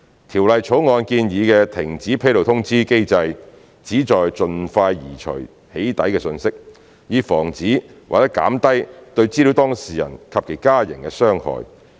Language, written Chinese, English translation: Cantonese, 《條例草案》建議的停止披露通知機制旨在盡快移除"起底"訊息，以防止或減低對資料當事人及其家人的傷害。, The proposed cessation notice mechanism under the Bill aims to remove the doxxing message as soon as possible in order to prevent or minimize harm to the data subject and his family